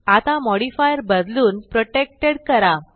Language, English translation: Marathi, Now let us change the modifier to protected